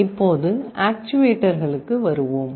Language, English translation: Tamil, Now, let us come to actuators